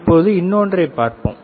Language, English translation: Tamil, Now, let us see another one